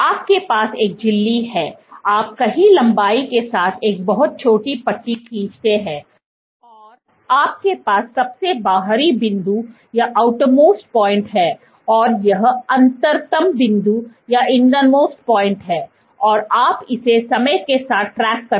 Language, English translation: Hindi, You have a membrane, you draw a very small strip somewhere and along the length, so you have outermost point and this is innermost point; you track it over time